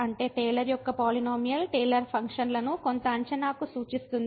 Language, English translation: Telugu, That means, because this Taylor’s polynomial representing the Taylor functions to some approximation